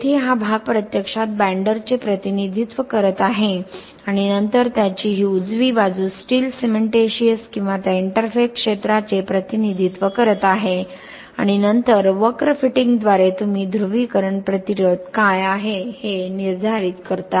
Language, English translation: Marathi, This portion here this much is actually representing the binder and then this right side of this is representing the steel cementitious or that interface region okay and then by curve fitting you determine what is the polarisation resistance